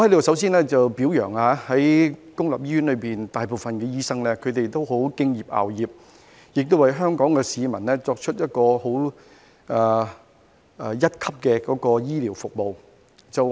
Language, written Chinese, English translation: Cantonese, 首先，我在此表揚公立醫院內的大部分醫生，他們十分敬業樂業，為香港市民提供一流的醫療服務。, To start with I would like to commend the majority of doctors in public hospitals for their dedication and commitment to providing first - class healthcare services to Hong Kong people